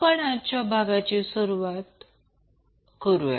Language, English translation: Marathi, So let us start the discussion of today’s session